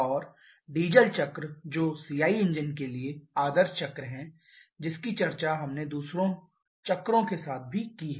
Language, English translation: Hindi, And the diesel cycle which is ideal cycle for CI engines that we have discussed along with a few others also